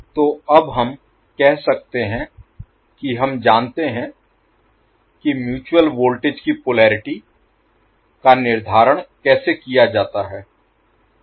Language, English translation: Hindi, So now we can say that we know how to determine the polarity of the mutual voltage